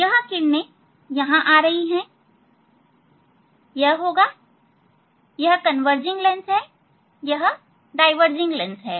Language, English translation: Hindi, this rays are coming here, it will, so these are converging lens, this is a diverging lens